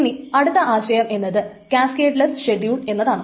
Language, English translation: Malayalam, That is the effect of this cascadless schedules